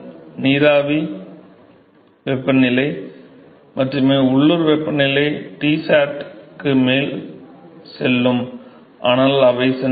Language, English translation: Tamil, Only the vapor temperature the local temperature will go above Tsat, but they are going to escape and go away